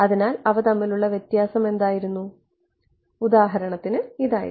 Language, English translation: Malayalam, So, what was the difference between; so, for example, this was